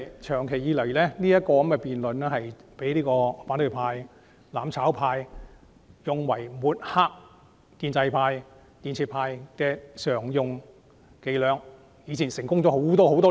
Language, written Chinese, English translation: Cantonese, 長久以來，財政預算案的辯論常被反對派、"攬炒派"用作抹黑建制派、建設派，他們的伎倆已經成功多年。, All along the Budget debate has often been used by the opposition camp and the mutual destruction camp to smear the pro - establishment camp and the constructive camp . Their tricks have succeeded for years